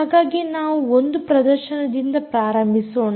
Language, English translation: Kannada, so let me start with the demo one